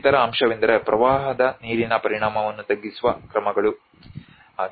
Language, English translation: Kannada, The other aspect is the measures to mitigate the impact of floodwater